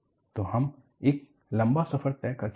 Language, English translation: Hindi, So, we have come a long way